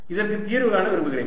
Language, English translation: Tamil, so i found the solution